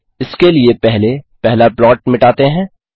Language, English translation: Hindi, For this let us clear the first plot